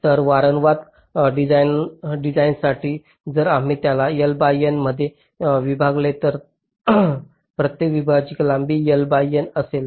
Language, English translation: Marathi, so if we divide it into l by n, so each of the segment will be of length l by n